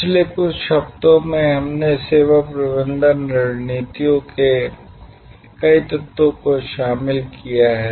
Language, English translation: Hindi, In the over the last few weeks, we have covered several elements of service management strategies